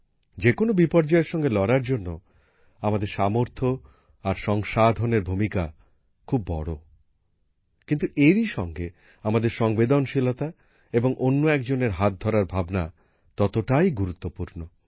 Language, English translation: Bengali, Our capabilities and resources play a big role in dealing with any disaster but at the same time, our sensitivity and the spirit of handholding is equally important